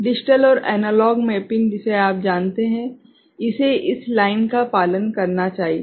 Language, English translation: Hindi, The digital and analog this you know mapping, it should follow this line